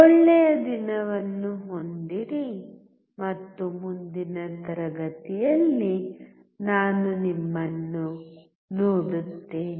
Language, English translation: Kannada, Have a nice day and I will see you in the next class bye